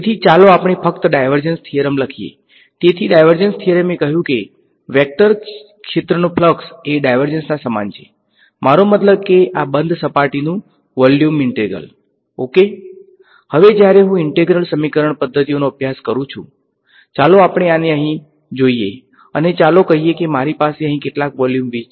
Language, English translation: Gujarati, Now when I use integral equation methods; let us look at this over here, and let us say I have some volume v over here ok